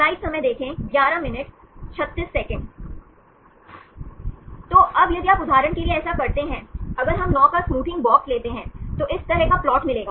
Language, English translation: Hindi, So, now if you do this for example, if we take the smoothing box of 9, then will get the plot like this